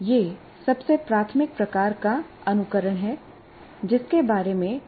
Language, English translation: Hindi, This is the most, what you call, elementary type of simulation that we can think of